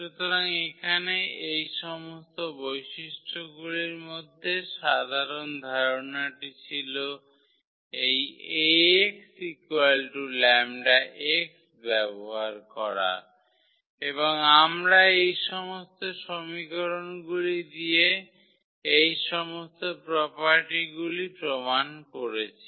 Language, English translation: Bengali, So, here in all these properties the simple idea was to use this Ax is equal to lambda x and we played with this equation only to prove all these properties